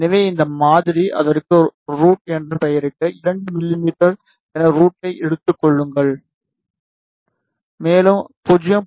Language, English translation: Tamil, So, this variable name name it as r out, and take r out as 2 mm, and extra maybe 0